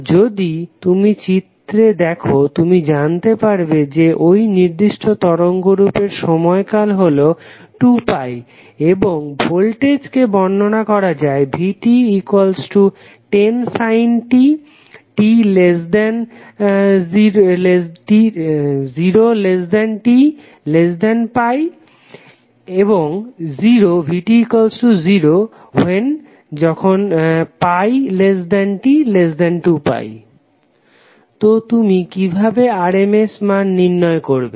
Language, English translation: Bengali, So if you see this figure you will come to know that the time period of this particular waveform is also 2pi and the voltage is defined as 10 sin t for 0 to pi and it is 0 between pi to 2pi